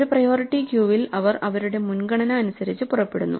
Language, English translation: Malayalam, In a priority queue, they leave according to their priority